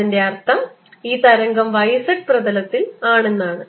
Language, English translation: Malayalam, this means e zero is in the y z plane